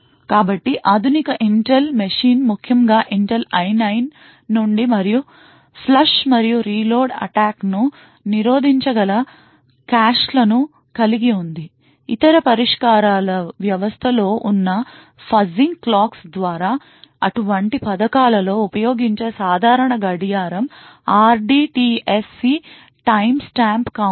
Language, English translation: Telugu, So modern Intel machine especially from Intel I9 and so on have non inclusive caches which can prevent the flush and reload attacks, other solutions are by fuzzing clocks present in the system, typical clock that is used in such schemes the RDTSC timestamp counter